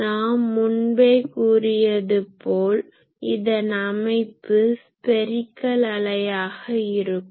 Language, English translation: Tamil, So, but actually we have already said that the actual structure is spherical wave